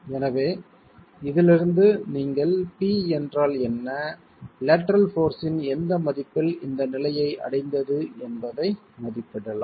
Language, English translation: Tamil, So from this you can then estimate at what p is at what value of the lateral force is this condition reached